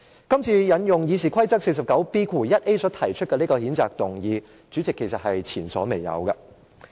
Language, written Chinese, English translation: Cantonese, 今次引用《議事規則》第 49B 條所提出的這項譴責議案，主席，是前所未有的。, The invoking of Rule 49B1A of the Rules of Procedure to propose the censure motion this time around President is unprecedented